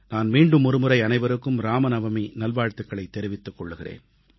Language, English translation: Tamil, Once again, my best wishes to all of you on the occasion of Ramnavami